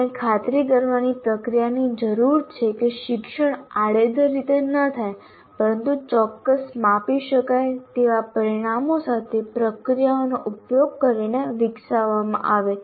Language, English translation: Gujarati, So we need a process to ensure learning does not occur in a haphazard manner, but is developed using a process with specific measurable outcomes